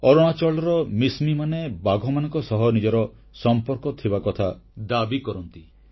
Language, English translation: Odia, Mishmi tribes of Arunachal Pradesh claim their relationship with tigers